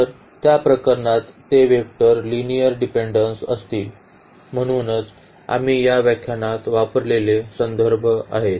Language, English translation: Marathi, So, in that case those vectors will be linearly dependent; so, these are the references we have used in this lecture